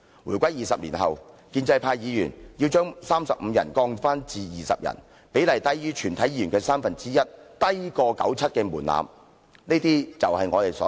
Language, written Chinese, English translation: Cantonese, 回歸20年後，建制派議員要把法定人數由35人降至20人，比例低於全體議員的三分之一，較97年門檻為低。, After the passage of 20 years since the reunification pro - establishment Members intend to lower the quorum from 35 Members to 20 Members . The proportion is even less than one third of all Members and lower than the threshold in 1997